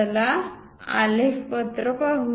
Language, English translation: Marathi, Let us look at on the graph sheet